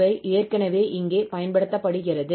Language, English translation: Tamil, So that is already used here